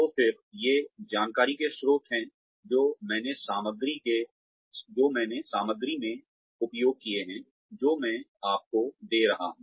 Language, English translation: Hindi, So again, these are the sources of the information, that I have used in the material, that I am giving to you